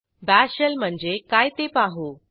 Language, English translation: Marathi, Let me show you what is a Bash Shell